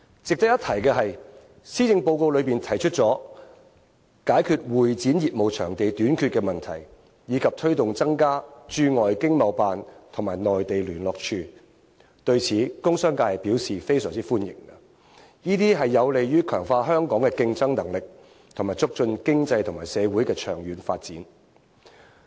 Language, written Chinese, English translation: Cantonese, 值得一提的是，施政報告提出解決香港會議展覽中心業務場地短缺的問題，以及推動增加駐外經貿辦與駐內地聯絡處，對此，工商界表示非常歡迎，這些都有利於強化香港的競爭力和促進經濟及社會的長遠發展。, It is worth mentioning the proposals brought out by the Policy Address to resolve the shortage in convention and exhibition venues in Hong Kong as well as to establish more Economic and Trade Offices overseas and liaison units in the Mainland . The commerce and industry sector welcomes these moves as these are the steps to enhance Hong Kongs competitiveness and promote long - term economic and social development